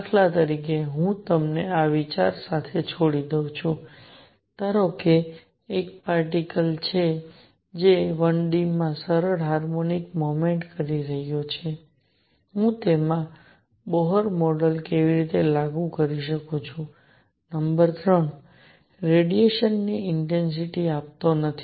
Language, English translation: Gujarati, For example, I leave you with this thought, suppose there is a particle that is performing simple harmonic motion in 1 D, how do I apply Bohr model to it, number 3, does not give the intensity of radiation